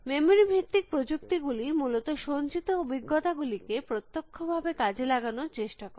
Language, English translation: Bengali, Memory based techniques try to exploit stored experience directly essentially